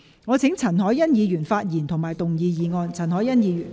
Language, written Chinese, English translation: Cantonese, 我請易志明議員發言及動議議案。, I call upon Mr Frankie YICK to speak and move the motion